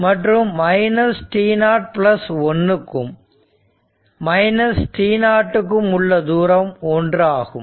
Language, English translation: Tamil, And for t greater than 0 u t is equal to 1